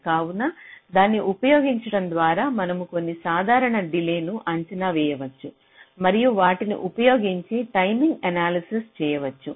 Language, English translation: Telugu, ok, so using that you can make some simple delay estimates and using those you can carry out a timing analysis